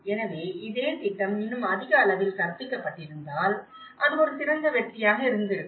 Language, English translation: Tamil, So, if this same project has been taught in a more of an incremental level, that would have been a better success